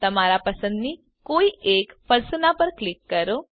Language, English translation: Gujarati, Click on any Persona of your choice